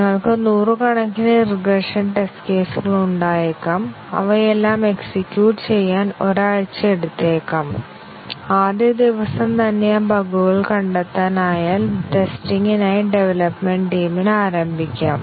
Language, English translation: Malayalam, We might have hundreds of regression test cases and it may take a week to execute all of them and if we can detect that bugs in the very first day, we might get the development team started on the testing